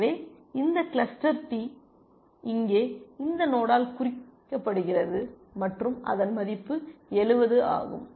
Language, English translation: Tamil, So, still this cluster D is represented by this node here and its value is 70